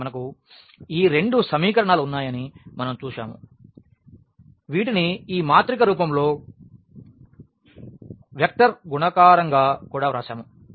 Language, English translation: Telugu, So, we have seen that we had these two equations which we have also written in the form of this matrix a vector multiplication